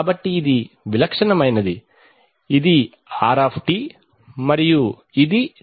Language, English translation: Telugu, So this is a typical, this is r and this is t